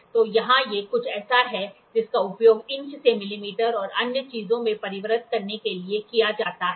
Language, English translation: Hindi, So, here these are something which are used to convert from inches to millimeter and other things